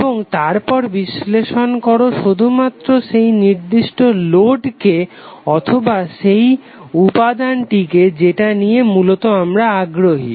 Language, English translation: Bengali, And then analyze only that particular load or that particular variable element within which you are basically interested